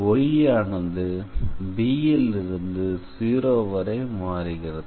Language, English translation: Tamil, So, here y is varying from 0 to b